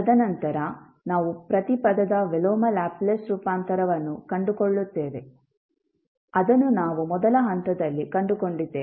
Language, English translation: Kannada, And then we find the inverse Laplace transform of each term, which we have found in the first step